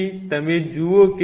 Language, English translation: Gujarati, So, if you look at it